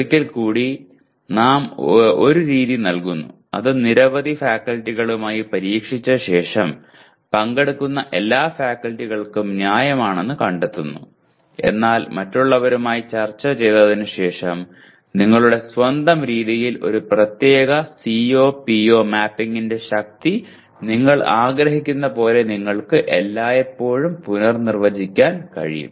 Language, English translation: Malayalam, And once again we give one method which after testing out with several faculty, which was found to be reasonable to all the participating faculty; but you can always redefine after discussing with others saying that you would prefer to map the strength of a particular CO to PO in your own way